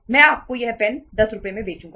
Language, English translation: Hindi, Iíll sell you this pen for 10 Rs